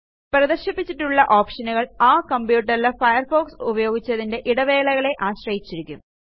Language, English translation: Malayalam, The displayed options is subject to the intervals between the usage of Firefox on that computer